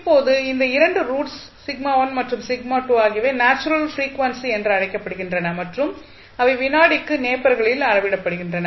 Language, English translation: Tamil, Now, these 2 roots that is sigma1 and sigma2 are called natural frequencies and are measured in nepers per second